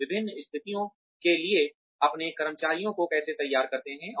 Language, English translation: Hindi, How do we ready our employees for different situations